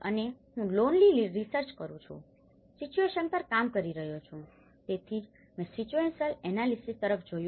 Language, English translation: Gujarati, And I am a lonely researcher, working at the situation so that is where, I looked at a situational analysis